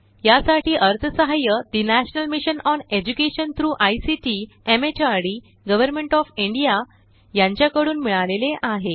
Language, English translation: Marathi, supported by the National Mission on Education through ICT, MHRD, Government of India